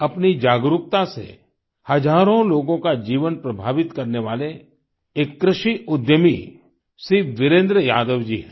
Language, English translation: Hindi, Shri Virendra Yadav ji is one such farmer entrepreneur, who has influenced the lives of thousands through his awareness